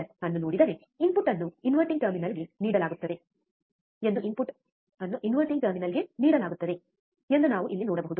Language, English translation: Kannada, So, if you see the inverting amplifier, we can see here, that the input is given to the inverting terminal the input is given to the inverting terminal, right